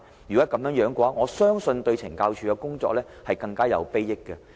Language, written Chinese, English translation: Cantonese, 如果是這樣，我相信對懲教署將更有裨益。, To me such an arrangement will be more beneficial to CSD